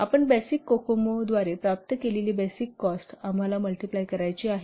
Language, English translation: Marathi, You have to multiply the basic cost that you have obtained by the basic okumo